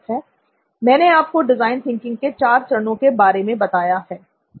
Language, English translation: Hindi, I have already briefed you about four stages of design thinking